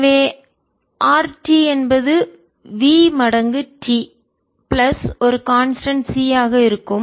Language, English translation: Tamil, so r t will be v times t plus a constant c